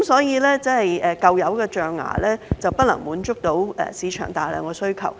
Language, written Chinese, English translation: Cantonese, 因此，舊有的象牙已經不能滿足市場的龐大需求。, Thus the old ivory will no longer be sufficient to meet the huge market demands